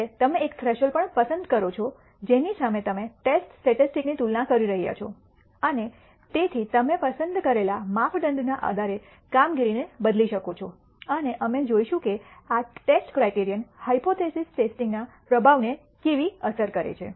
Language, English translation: Gujarati, Finally, you also choose a threshold against which you are comparing the test statistic and therefore, you can alter the performance based on the criterion that you select, and we will see how this test criterion affects the performance of the hypothesis test